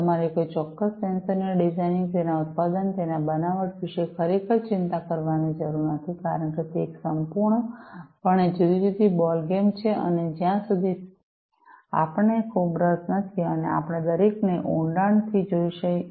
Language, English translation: Gujarati, So, you do not need to really worry about the designing of a particular sensor, the manufacturing of it, the fabrication of it, because that is a completely different ballgame and we really unless we are very much interested, and we dig deep into each of these, we will not be able to master the sensor fabrication